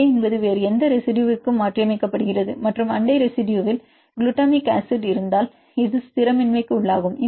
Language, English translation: Tamil, So, A is the wild type residue, A is mutated to any other residue and if the neighboring residue contains glutamic acid then this is destabilizing